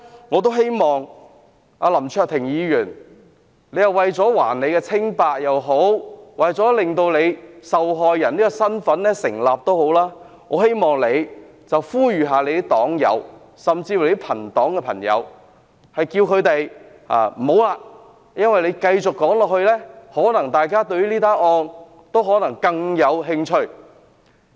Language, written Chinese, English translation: Cantonese, 我希望對林卓廷議員說，他如果想還自己清白或令自己受害人身份成立，應呼籲黨友或友黨議員不要發言，因為他們繼續發言，可能令大家對事件更感興趣。, Let me advise Mr LAM Cheuk - ting If he wants to vindicate himself or establish his status as a victim he should appeal to Members of his party to stop speaking; as the more they say the more we will be interested in the incident